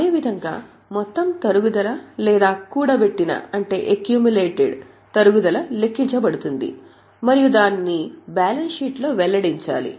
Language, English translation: Telugu, Like that, the total depreciation or accumulated depreciation is calculated and it is to be disclosed in the balance sheet